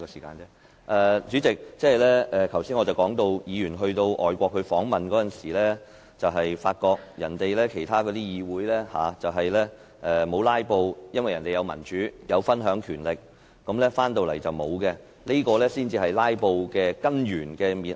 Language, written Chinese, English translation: Cantonese, 代理主席，我剛才談到，議員在外訪時發覺當地議會沒有"拉布"，原因是國家奉行民主制度，有權力分享，但香港則沒有，這才是導致"拉布"的根本原因。, Deputy President as I just said Members found during overseas visit that filibusters had not taken place in these parliaments because these countries upheld a democratic system where powers were shared . But this is not the case in Hong Kong and this is the root cause of filibustering